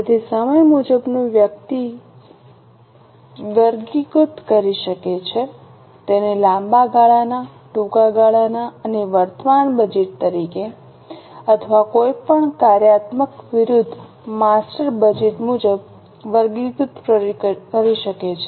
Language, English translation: Gujarati, So, time wise, one may categorize it as a long term, short term and current budget, or one can also categorize it as for the functional versus master's budget